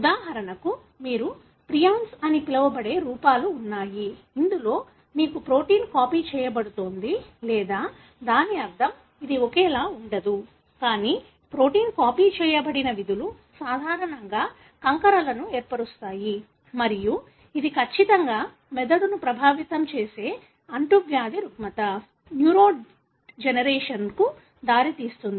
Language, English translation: Telugu, For example, there are, know, forms which you call as prions, wherein you have the protein being copied or meaning, it is not identical but the functions of the protein being copied which is normally to form aggregates, and this is known in certain infectious disorder that could affect the brain, leading to neurodegeneration